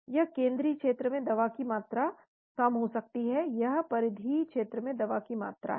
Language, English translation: Hindi, This could be the amount of drug in the central, this is the amount of drug in the peripheral region